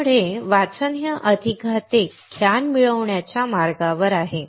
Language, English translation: Marathi, So, reading is on the way to gain more and more knowledge